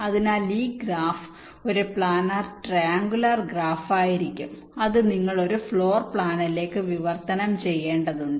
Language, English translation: Malayalam, so this graph will essentially be a planer triangular graph, which you have to translate into into a floor plan